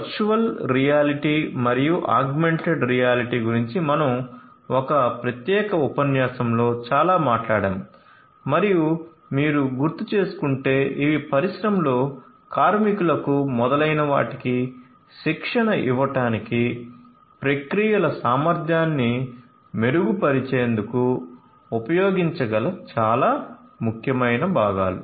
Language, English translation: Telugu, Now, let us talk about virtual reality, virtual reality and augmented reality we talked about a lot in a separate lecture and if you recall that these are very very important components that could be used in the industry in order to improve the efficiency of the processes to offer training to the workers and so on